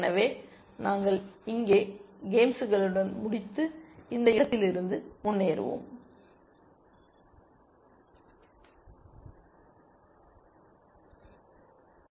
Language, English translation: Tamil, So, we will end with games here and move on from this place essentially